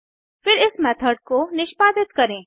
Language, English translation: Hindi, Then let us execute this method